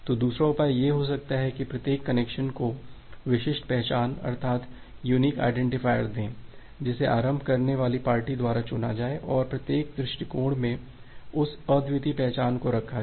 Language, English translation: Hindi, So, the second solution can be like that give each connection unique identifier, which is chosen by the initiating party and put that unique identifier in each approach